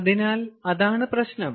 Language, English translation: Malayalam, clear, so that is the problem